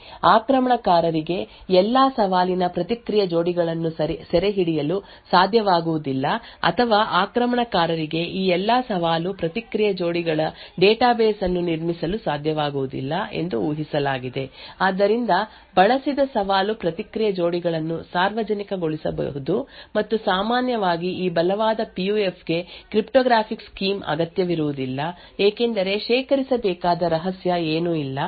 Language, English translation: Kannada, And it is also assumed that because of this the attacker will not be able to capture all the Challenge Response Pairs or attacker will not be able to build a database of all these challenge response pairs therefore, the used challenge response pairs can be made public and typically these strong PUF will not require cryptographic scheme because there is nothing secret which needs to be stored